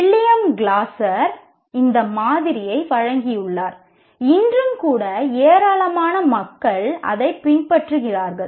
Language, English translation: Tamil, William Glasser, he has given this model, which is followed by a large number of people even today